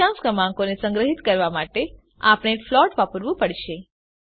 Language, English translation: Gujarati, To store decimal numbers, we have to use float